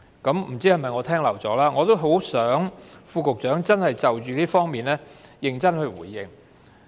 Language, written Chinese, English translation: Cantonese, 也許是我聽漏了，我希望局長可以就着這方面認真回應。, Perhaps I have missed it but I hope that the Secretary will seriously respond to this question